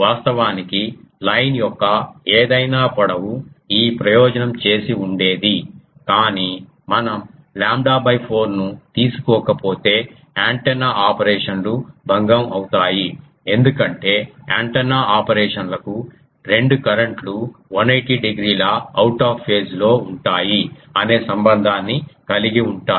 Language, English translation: Telugu, Actually any length of line of this would have done the purpose, but if we don't take lambda by 4 then the antenna operations will be disturbed because antenna operations have that relation that two currents are 180 degree out of phase